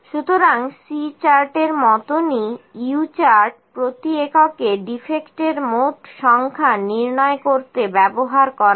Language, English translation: Bengali, So, similar to C chart, the U chart is used to calculate the total number of defects per unit